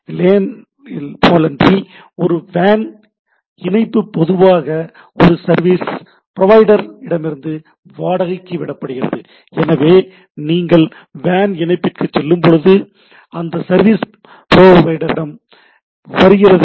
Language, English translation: Tamil, Unlike LAN, a WAN connection is generally rented from a service provider, so when you go for a WAN connection, it is from the service provider